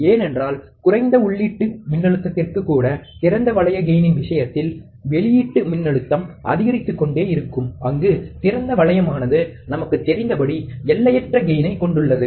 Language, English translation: Tamil, Because even for a small amount of input voltage, the output voltage will keep on increasing in the case of the open loop gain, where the open loop has infinite gain as we know